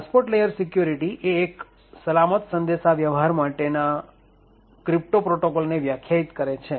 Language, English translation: Gujarati, So, the TLS or the transport layer security defines a crypto protocol for secure communication